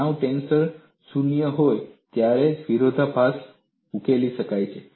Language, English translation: Gujarati, The contradiction can be resolved only when stress tensor is 0